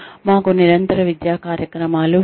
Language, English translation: Telugu, We have continuing education programs